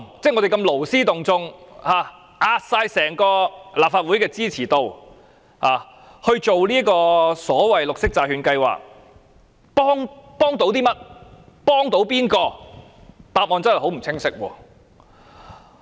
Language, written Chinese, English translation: Cantonese, 這個勞師動眾的行動，押上整個立法會的支持度，以推行所謂的綠色債券計劃，幫助了甚麼？, Such an act of expending numerous efforts has put the popularity rating of the whole Legislative Council at stake for the launch of the so - called Programme . What does it help?